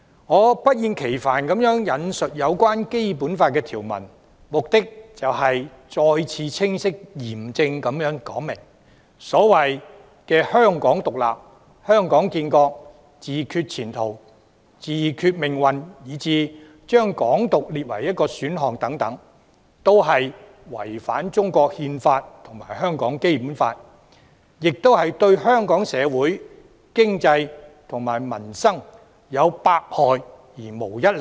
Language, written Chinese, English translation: Cantonese, 我不厭其煩地引述《基本法》有關條文，目的是再次清晰嚴正地說明，所謂"香港獨立"、"香港建國"、"自決前途"、"自決命運"以至將"港獨"列為一個選項等，都是違反中國《憲法》和香港《基本法》，亦是對香港社會、經濟和民生有百害而無一利。, I do not mind taking the trouble to quote the relevant provisions of the Basic Law because I would like to clearly and unequivocally state again that the so - called Hong Kong independence nation building for Hong Kong self - determination of destiny self - determination of fate and even listing Hong Kong independence as an option etc violate the Constitution of the Peoples Republic of China and the Basic Law of Hong Kong; they will do no good but harm to our society economy and peoples livelihood